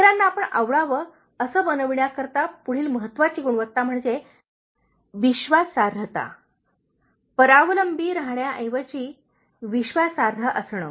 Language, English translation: Marathi, The next important quality for making others like you is, being trustworthy, instead of being undependable